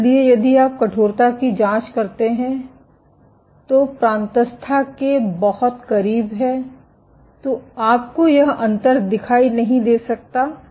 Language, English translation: Hindi, So, if you probe the stiffness which is very close to the cortex, you may not see this difference